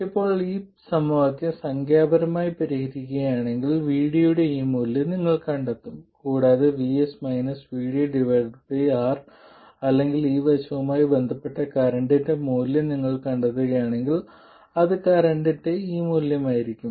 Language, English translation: Malayalam, Now if you solve this equation numerically you would find this value of VD and if you find the value of the current corresponding to that that is Vs minus VD by R or this side it will be this value of current